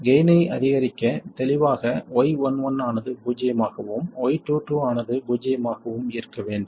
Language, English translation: Tamil, So, to maximize the gain clearly, Y 1 1 has to be 0 and Y 22 has to be 0